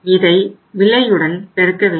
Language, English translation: Tamil, We will have to multiply by the price